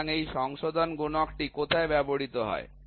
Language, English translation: Bengali, So, now where is this correction factor used